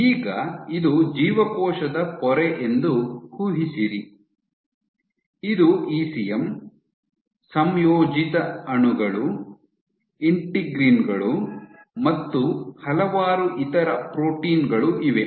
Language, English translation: Kannada, Now, imagine a situation you have, this is a cell membrane, this is your ECM, you have your integrated molecules here integrins here and then various other proteins right